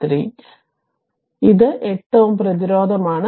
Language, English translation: Malayalam, So, and this is 8 ohm resistance